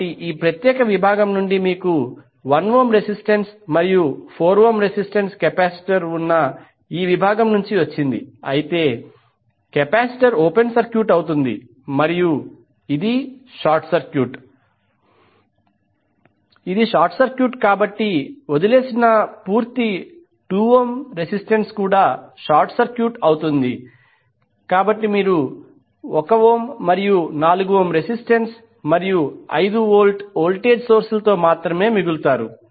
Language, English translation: Telugu, So 1 ohm resistance you got from this particular section and 4 ohm is from this section where you have capacitor in between but capacitor will be open circuited and this is short circuit, this is short circuit so the complete left 2 ohm resistance will also be short circuited, so you will left with only 1 ohm and 4 ohm resistances and 5 volt voltage source